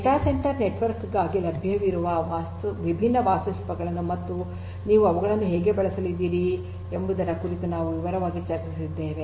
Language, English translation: Kannada, We have also discussed in detail the different different architectures that are available for data centre network and how you are going to use them